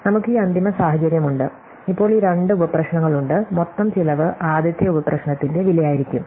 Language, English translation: Malayalam, So, we have this final situation and now we have these two sub problems, so we have this two sub problems and the total cost is going to be the cost of the first sub problem